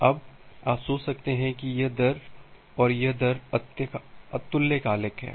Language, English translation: Hindi, Now you can think of that this rate and this rate are asynchronous